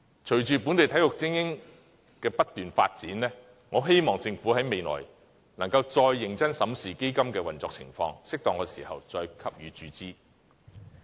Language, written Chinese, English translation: Cantonese, 隨着本地精英體育的不斷發展，我希望政府未來能夠再認真審視基金的運作情況，在適當的時候再給予注資。, As local elite sports continue to grow I hope the Government can in the future examine the Funds operation vigorously and make further injection at appropriate time